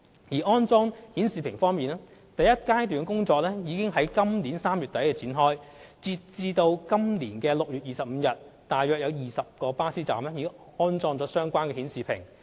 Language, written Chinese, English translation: Cantonese, 在安裝顯示屏方面，第一階段的安裝工作已於今年3月底展開，截至今年6月25日，約20個巴士站已安裝相關顯示屏。, As for the display panels the first phase installation works commenced in end - March 2018 . As at 25 June 2018 around 20 bus stops were installed with display panels